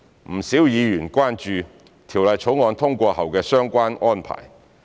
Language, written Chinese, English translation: Cantonese, 不少議員關注《條例草案》通過後的相關安排。, A lot of Members are concerned about the relevant arrangements following the passage of the Bill